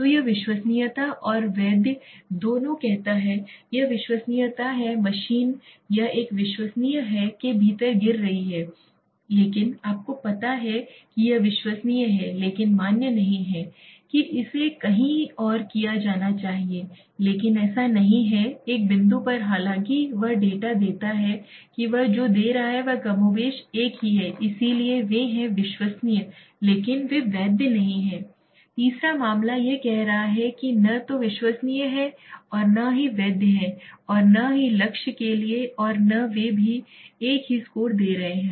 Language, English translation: Hindi, So it says both reliable and valid this is reliable the machine it is falling within the a it is reliable but you know sorry it reliable but not valid it should be heating somewhere here but it is not it is at one point although he data what it is giving is more or less same so that is why they are reliable but they are not valid third case it is saying neither reliable nor valid neither it is heating to the target and not they are even giving the same score so it is neither reliable nor valid okay